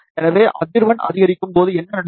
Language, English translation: Tamil, So, what happens, as frequency increases